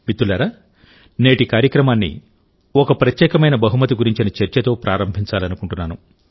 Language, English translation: Telugu, Friends, I want to start today's program referring to a unique gift